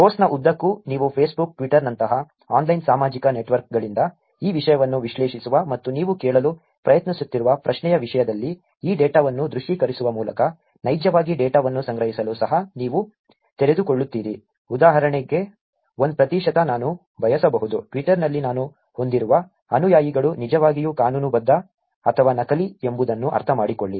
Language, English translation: Kannada, Throughout the course, you will also be exposed to actually collecting data from online social networks like Facebook, Twitter analyzing these content and visualizing this data in terms of the question that you are trying to ask, for example, 1 percent could be I want to understand whether the followers that I have on Twitter are actually legitimate or fake